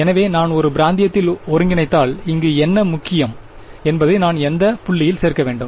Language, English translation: Tamil, So, if I integrate over a region, what is important over here I should include what point